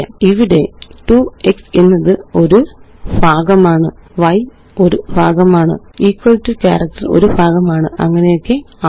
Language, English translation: Malayalam, Here, 2x is a part, y is a part, equal to character is a part and so on